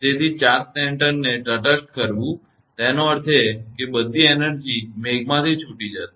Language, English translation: Gujarati, So, neutralizing the charge center so; that means, that because all the energy will be released from the cloud